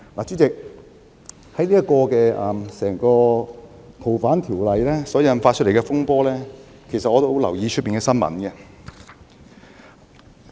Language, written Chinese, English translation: Cantonese, 主席，關於修訂《逃犯條例》所引發的風波，我一直有留意新聞。, President I have all along paid attention to the news about the turmoil triggered by the amendment exercise of FOO